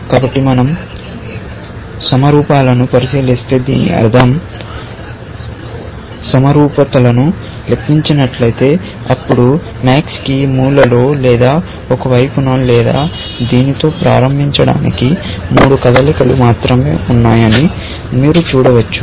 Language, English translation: Telugu, So, if we ignore symmetries, I mean, if we take into account symmetries, then you can see that max has only three moves to start with, either corner, or on a side, or on this